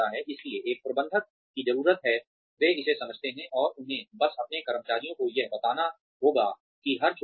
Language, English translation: Hindi, s need to, they understand this, and they just need to convey this, to their employees, that every little bit